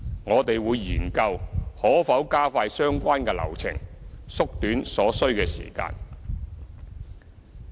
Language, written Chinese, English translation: Cantonese, 我們會研究可否加快相關流程，縮短所需的時間。, We will study the possibility of expediting the relevant process so as to shorten the time required